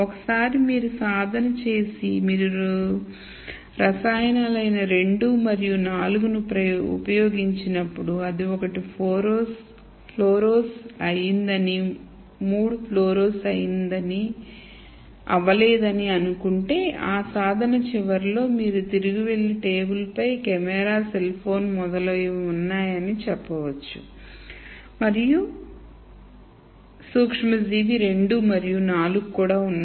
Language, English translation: Telugu, So, once you do this exercise and let us say when you use chemical 2 and 4 it fluoresced one and 3 did not uoresce then at the end of that exercise you could go back and then say the articles on the table or the camera and the and the cell phone and so on and also microorganism 2 and 4